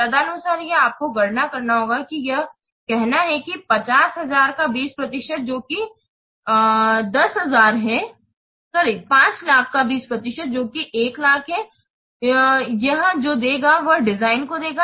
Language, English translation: Hindi, Accordingly, this you have to compute these, say, 20 percent of 5 lakhs that is 1 luck it will give to what it will give to the design